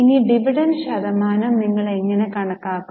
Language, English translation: Malayalam, Now how will you calculate the dividend percent